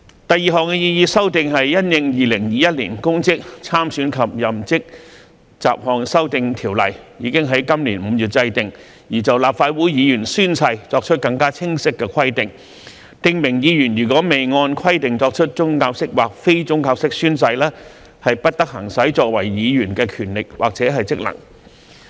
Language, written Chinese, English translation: Cantonese, 第二項擬議修訂是因應《2021年公職條例》已於今年5月制定，而就立法會議員宣誓作出更清晰的規定，訂明議員如未按規定作出宗教式或非宗教式宣誓，不得行使作為議員的權力或職能。, The second proposed amendment is to provide for clearer oath - taking requirements for Legislative Council Members in the light of the enactment of the Public Offices Ordinance 2021 in May this year by stipulating that a Member who has not made or subscribed an oath or affirmation in accordance with the requirements shall not exercise the powers or functions of a Member